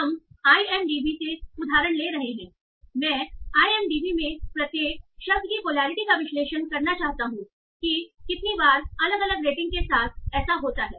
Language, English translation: Hindi, So we are taking the example from IMDB and I want to find out I want to analyze polarity of each word in IMDB